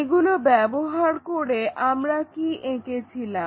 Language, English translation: Bengali, Using that what we have drawn